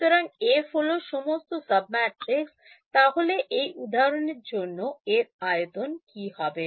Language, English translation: Bengali, So F are all sub matrices, F A A are sub matrices what will be the size of for example this or this